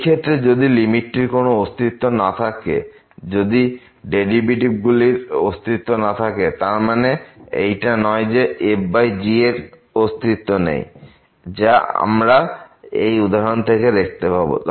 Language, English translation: Bengali, So, if this limit here does not exist, if the limit of the derivatives does not exist; it does not mean that the limit of divided by does not exist which we can see by the simple example